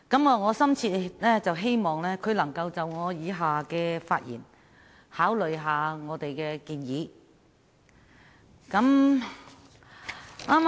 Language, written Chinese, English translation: Cantonese, 我深切希望他在聽畢我以下的發言後會考慮我們的建議。, I strongly hope that he can consider our proposals after listening to my following speech